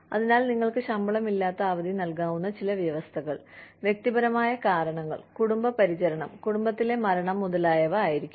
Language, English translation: Malayalam, So, some conditions that, you could give unpaid leave under, would be personal reasons, family care, death in the family, etcetera